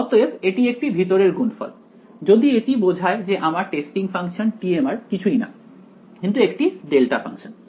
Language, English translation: Bengali, So, this is a inner product, if implies that my testing functions t m of r is nothing, but a delta function ok